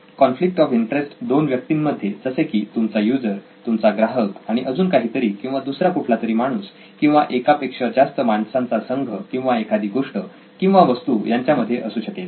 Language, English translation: Marathi, Usually the problem arises because of the conflict between your person of interest, your user, your customer and something else, it could be another human being, set of human beings or a thing, an object